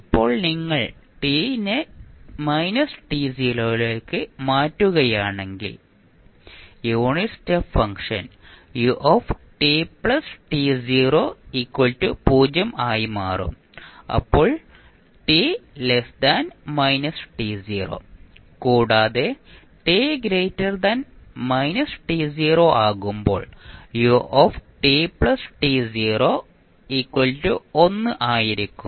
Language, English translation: Malayalam, Now, if you change t to minus t naught the unit step function will now become u t plus t naught and the value would be 0 and 1